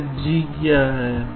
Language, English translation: Hindi, this is what g is